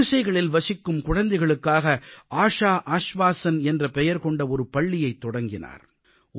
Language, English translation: Tamil, He has opened a school named 'Asha Ashvaasan', spending 50% of his incomefor children living in slums and hutments